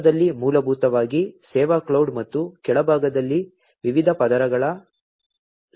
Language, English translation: Kannada, At the center is basically the service cloud and at the bottom are a stack of different layers